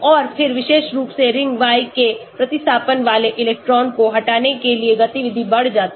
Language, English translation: Hindi, and then activity increases for electron withdrawing substituents especially ring Y